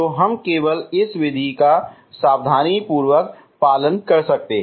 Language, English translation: Hindi, So we can just meticulously follow this same method